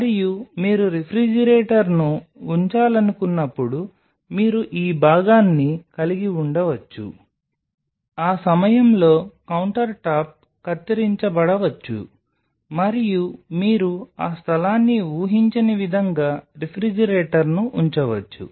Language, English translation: Telugu, And whenever you design that you want to place a refrigerator you can have this part the countertop may be cut at that point and you can place the refrigerator in such a way that you are not conceiving that space